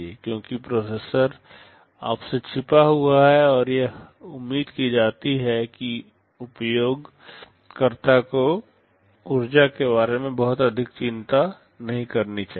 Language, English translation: Hindi, Because the processor is hidden from you and it is expected that the user should not worry too much about energy